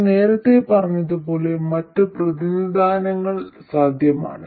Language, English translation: Malayalam, Like I said earlier, other representations are possible